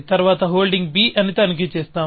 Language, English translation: Telugu, That we will check for holding b later